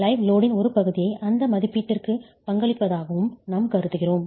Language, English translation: Tamil, We also consider part of the live load as being contributory to that estimate